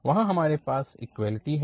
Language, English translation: Hindi, We have the equality there